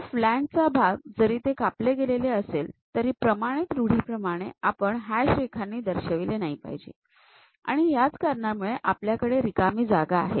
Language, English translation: Marathi, The flange portion, though it is slicing, but this standard convention is we do not represent it by any hatched lines; that is the reason we have that free space